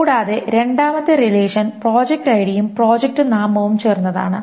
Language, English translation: Malayalam, So this is the first relation and the second relation is project ID with project name